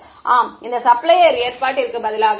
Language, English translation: Tamil, Yeah instead of this supplier arrangement